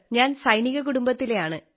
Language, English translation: Malayalam, I am from military family